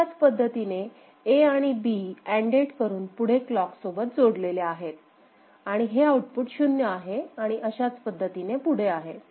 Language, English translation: Marathi, Similarly, the A and B ANDed with the clock will come here, and this is this output will be 0 and so on, and it will continue right